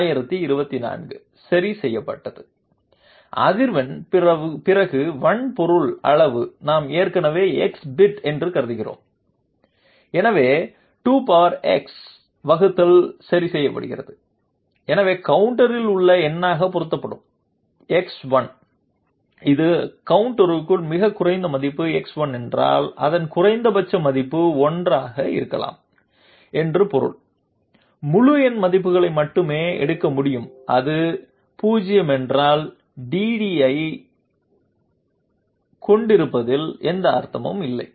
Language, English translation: Tamil, 1024 is fixed, the frequency then hardware size we are already assuming to be of x bit, so 2 to the power x denominator is fixed and therefore, the x which gets multiplied as the number contained in the counter, if it is the lowest possible value x inside the counter can only take up integer values that means its its minimum value can be 1, if it is 0 then there is no point having that you know that DDA